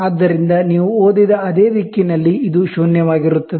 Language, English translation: Kannada, So, this is zero, on the same direction you read